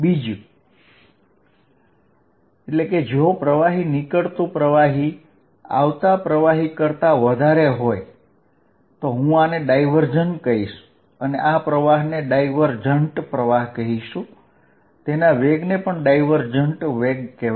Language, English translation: Gujarati, On the other hand if fluid going out is greater than fluid coming in I will say this divergent, the fluid flow, the velocities of the current divergent